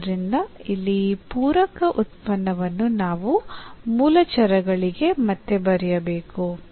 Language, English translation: Kannada, So, here this complementary function we have to write down back to the original variables